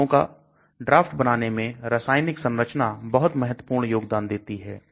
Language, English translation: Hindi, The chemical structure plays a very important role in designing on the property